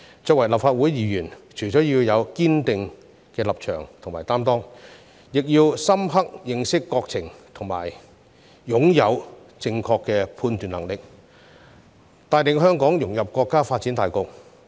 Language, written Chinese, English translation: Cantonese, 作為立法會議員，除了要有堅定的立場和擔當，亦要深刻認識國情和擁有正確的判斷能力，帶領香港融入國家發展大局。, Apart from standing firm and making steadfast commitments Members of the Legislative Council must also have an in - depth understanding of our country and the ability to make judgments correctly in order to lead Hong Kong to integrate into the overall development of our country